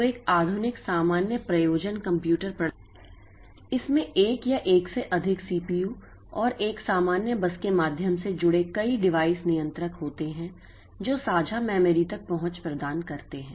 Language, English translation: Hindi, So, a modern general purpose computer system, it consists of one or more CPUs and a number of device controllers connected through a common bus that provides access to shared memory